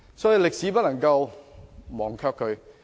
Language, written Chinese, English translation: Cantonese, 所以，我們不能忘卻歷史。, That is why we cannot forget history